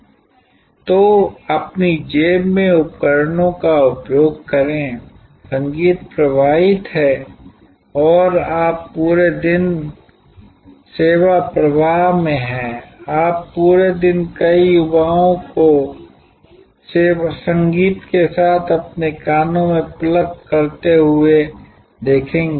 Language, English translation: Hindi, So, use the devices in your pocket, the music is streamed and you are in the service flow throughout the day you will see many young people going around the whole day with the music plugged into their ears